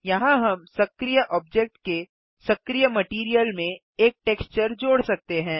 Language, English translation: Hindi, Here we can add a texture to the active material of the active object